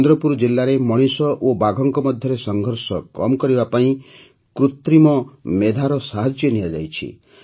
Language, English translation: Odia, The help of Artificial Intelligence is being taken to reduce conflict between humans and tigers in Chandrapur district